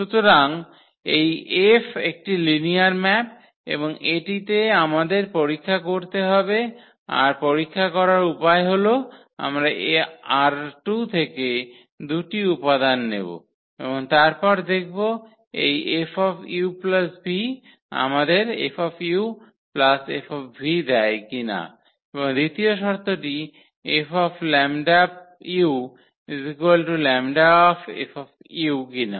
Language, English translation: Bengali, So, this F is a linear map and that we have to check it and one way of checking would be that we take the 2 elements form R 2 and then see whether this F when applied on this u plus v gives us F u plus F v and the second condition that F 1 lambda u is equal to lambda times F u